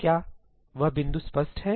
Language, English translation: Hindi, Is this point clear